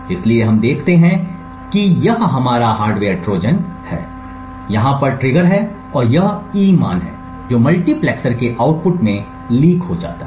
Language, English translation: Hindi, So what we see is that this is our hardware Trojan, we have the trigger over here and this E value is what gets leaked to the output of the multiplexer